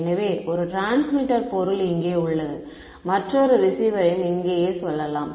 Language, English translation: Tamil, So, one transmitter object over here and let us say another receiver over here right